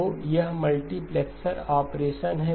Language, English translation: Hindi, So this is a multiplexer operation